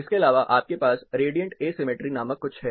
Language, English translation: Hindi, Apart from this you have something called radiant asymmetry